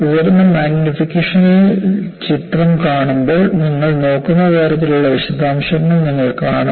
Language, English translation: Malayalam, When you see the picture in high magnification, you see the kind of detail that you look at